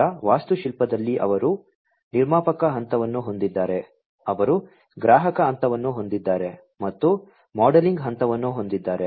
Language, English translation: Kannada, In their architecture they have the producer phase, they have the consumer phase, and the modelling phase